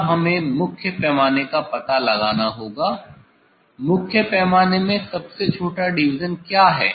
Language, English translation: Hindi, Now, one has to find out main scale; what is the smallest division in main scale